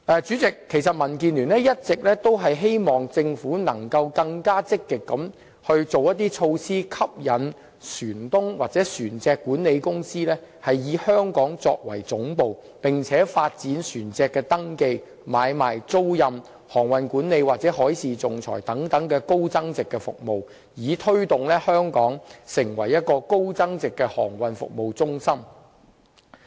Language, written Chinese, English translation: Cantonese, 主席，民建聯一直希望政府能更積極地推行措施，吸引船東或船隻管理公司以香港作為總部，並且發展船隻登記、買賣、租賃、航運管理或海事仲裁等高增值服務，以推動香港成為高增值的航運服務中心。, President DAB has been hoping that the Government can be more proactive in implementing measures to attract ship owners or ship management companies to set up their headquarters in Hong Kong while developing high value - added services including ship registration sales and purchases chartering ship management maritime arbitration etc